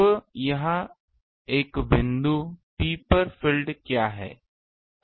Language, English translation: Hindi, So, what is the field at a point P